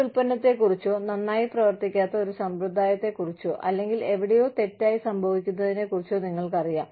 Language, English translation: Malayalam, You know about a product, or a practice, that is not doing, you know, that is not doing well, or, something, that is going wrong, somewhere